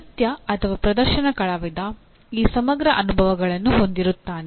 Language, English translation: Kannada, A dance like that or a performing artist will kind of have these integrated experiences